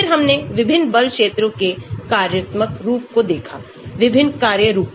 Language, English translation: Hindi, Then, we looked at different functional form of force field ; different function forms